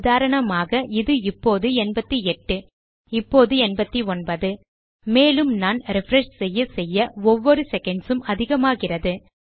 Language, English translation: Tamil, So for example, at this moment you can see this 88, now 89 and as I keep refreshing, by every second this increases